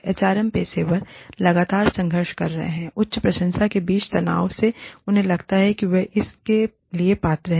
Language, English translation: Hindi, HRM professionals are constantly struggling with, the tension between the high appreciation, they feel, they are eligible for